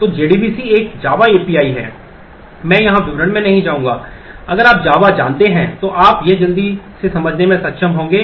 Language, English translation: Hindi, So, JDBC is a java API, I will not go into details here if you know java you should be able to quickly look up